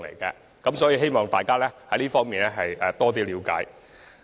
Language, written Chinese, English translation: Cantonese, 就此，希望大家能了解箇中情況。, I hope Members will understand the situation